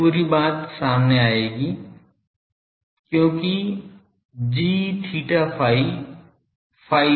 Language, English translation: Hindi, This whole thing will come out because, g theta phi is independent of phi